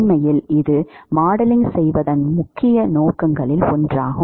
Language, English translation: Tamil, This one of the primary purposes of modeling